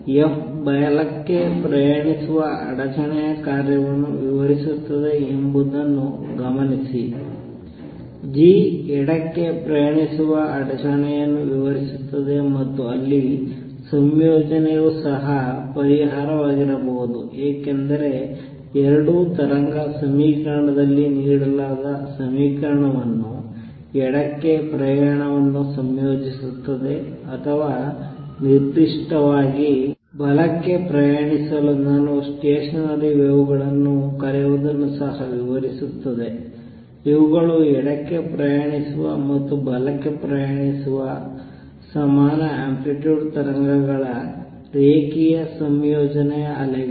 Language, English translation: Kannada, Notice that f describes the function in disturbance travelling to the right, g describes a disturbance travelling to the left and there combination could also be there which is the solution, because both satisfy the equation given in the wave equation which combines travelling to the left or to travelling to the right in particular it also describes what would I will call stationary waves; these are waves which are linear combination of equal amplitude waves travelling to the left and traveling to the right